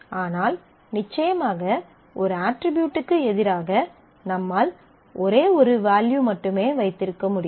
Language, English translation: Tamil, So, certainly against an attribute I can keep only one value